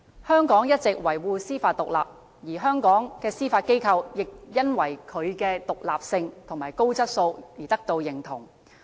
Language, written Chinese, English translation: Cantonese, 香港一直維護司法獨立，而香港的司法機構也因為其獨立性和高質素而受到認同。, Hong Kong all along upholds judicial independence and the Judiciary is recognized for its independence and high standard operation